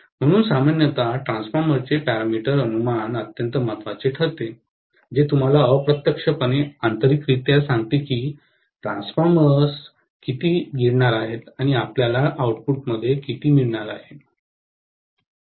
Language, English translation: Marathi, That is the reason why generally the parameter estimation of a transformer becomes extremely important, that tells you indirectly, internally how much the transformers is going to swallow and how much will you get at the output